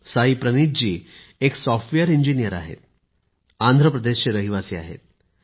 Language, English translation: Marathi, Saayee Praneeth ji is a Software Engineer, hailing from Andhra Paradesh